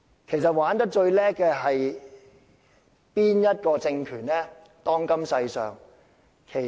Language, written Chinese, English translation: Cantonese, 其實，當今世上哪個政權最懂得玩弄民粹？, Actually which ruling regime in the world is the best player of populism?